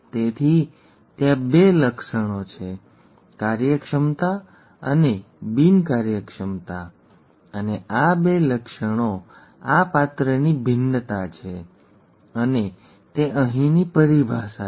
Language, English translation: Gujarati, Therefore there are two traits, the functionality and non functionality and these two traits are variance of this character and that is the terminology here